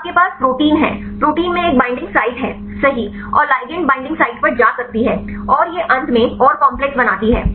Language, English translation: Hindi, So, you have protein, protein has a binding site right and the ligand can go to the binding site, and it interact and finally make the complex